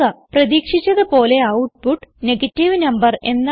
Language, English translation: Malayalam, As we can see, we get the output as negative number